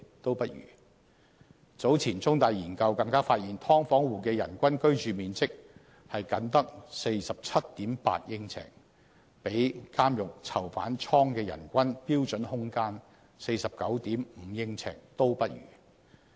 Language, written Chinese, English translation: Cantonese, 早前，香港中文大學有研究更發現，"劏房戶"的人均居住面積僅得 47.8 呎，比監獄囚犯倉的人均標準空間 49.5 呎都不如。, Earlier a research conducted by The Chinese University of Hong Kong revealed that the average living space per person for households in subdivided units is only 47.8 sq ft even less than the 49.5 sq ft for a standard prison cell